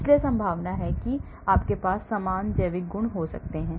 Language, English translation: Hindi, so chances are they may have similar biological properties